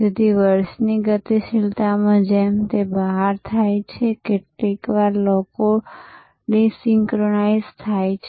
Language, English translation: Gujarati, So, in the dynamics of the year as it rolls out, sometimes people are desynchronized